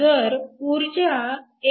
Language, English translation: Marathi, If you take energy to be 1